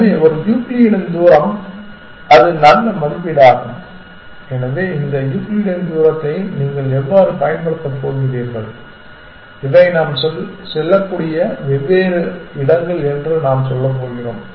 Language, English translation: Tamil, So, one is Euclidean distance and that is a good estimate of, so how are you going to use this Euclidean distance we are going to say these are the different places that we can go to